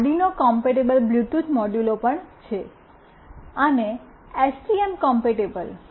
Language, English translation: Gujarati, Arduino compatible Bluetooth modules are also there,s and of course STM compatible